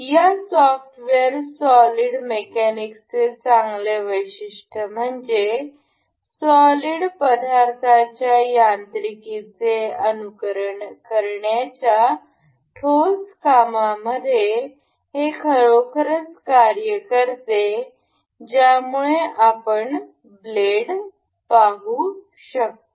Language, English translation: Marathi, A good feature of this software solid mechanics solid works; good feature of this solid works is this actually works on it actually works as it simulates the mechanics of solids you can see the blades